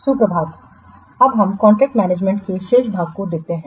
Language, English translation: Hindi, So, now let's see the remaining portion of this contract management